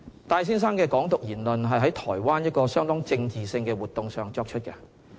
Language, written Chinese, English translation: Cantonese, 戴先生的"港獨"言論是在台灣一個相當政治性的活動上作出的。, Mr TAIs remarks on Hong Kong independence were made in a highly political event in Taiwan